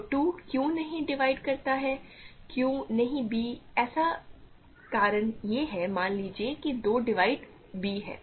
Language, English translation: Hindi, So, why does not 2 does not divide why does, why does not 2 divide b, the reason is so, suppose 2 divides b